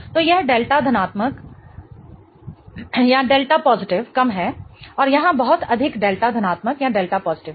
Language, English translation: Hindi, So, this is delta positive is lesser and there is much higher delta positive here